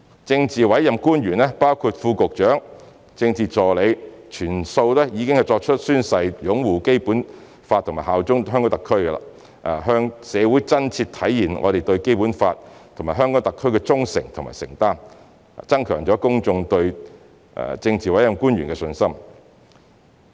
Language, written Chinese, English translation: Cantonese, 政治委任官員，包括副局長、政治助理，全數已宣誓擁護《基本法》和效忠香港特區，向社會真切體現我們對《基本法》和香港特區的忠誠和承擔，增強公眾對政治委任官員的信心。, All politically appointed officials including Under Secretaries and Political Assistants have signed a declaration to uphold the Basic Law and swear allegiance to HKSAR demonstrating genuinely to the public their loyalty and commitment to the Basic Law and HKSAR thereby enhancing public confidence in politically appointed officials